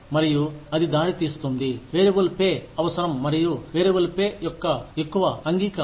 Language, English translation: Telugu, And, that leads to, a need for variable pay, and more acceptance of the variable pay